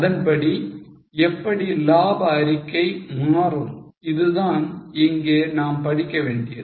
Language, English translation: Tamil, How will the profit statement change according to it